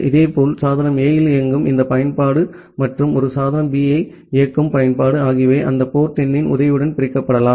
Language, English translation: Tamil, Similarly, for the other application that way this application running at device A and application running a device B they can be segregated with the help of that port number